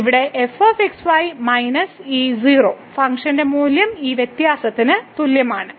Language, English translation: Malayalam, So, here minus this 0, the function value is equal to this difference